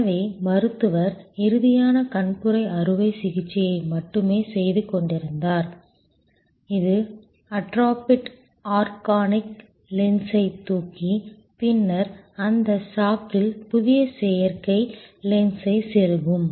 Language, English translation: Tamil, So, the doctor was only doing the final cataract operation, which is lifting of the atrophied organic lens and then insertion of the new artificial lens in that sack